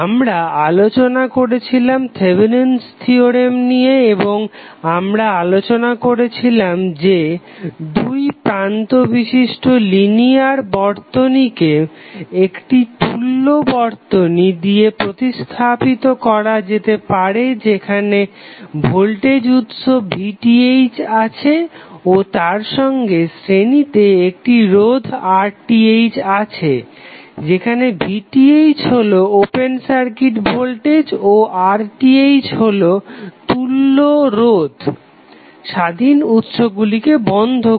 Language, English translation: Bengali, We discussed Thevenin's theorem and we discussed that the linear two terminal circuit can be replaced by an equivalent circuit consisting of the voltage source V Th in series with a register R Th where V Th is an open circuit voltage at the terminals and R Th is the equivalent resistance at the terminals when the independent sources are turned off